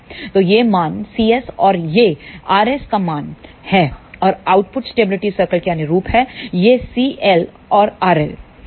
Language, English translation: Hindi, So, this is the value c s and this is the value of r s and corresponding to the output stability circle these are the values of c l and r l